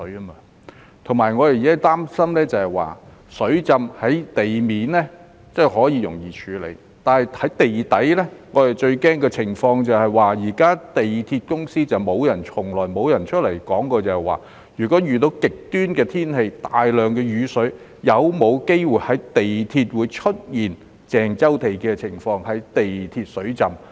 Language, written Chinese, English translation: Cantonese, 我們現時擔心的是，雖然在地面發生的水浸可容易處理，但如果在地底發生，我們最擔心的情況是，香港鐵路有限公司亦從來沒有出來交代，如果遇到極端天氣帶來大量雨水時，港鐵會否有機會出現鄭州地下鐵路水浸的情況呢？, Our present concern is that while it is easy to handle overground flooding the MTR Corporation Limited MTRCL has never said anything to assuage our biggest worry in the event of underground flooding If we experience extreme weather accompanied by heavy rain is it possible that the MTR tunnels will be inundated as in Zhengzhou?